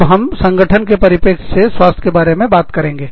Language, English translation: Hindi, Now, we will talk about, health, from the perspective of the organization